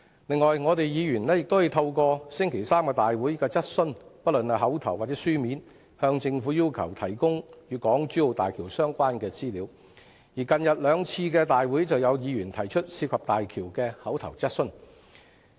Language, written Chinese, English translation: Cantonese, 此外，議員亦可以透過立法會會議的質詢——不論是口頭或書面——向政府要求提供港珠澳大橋工程的相關資料，而最近兩次立法會會議上亦有議員提出有關大橋工程的口頭質詢。, Moreover Members may request the Government to provide the relevant information on the HZMB project by means of asking questions―oral or written―at the meetings of the Council . At the last two meetings of the Council Members also asked oral questions on the HZMB project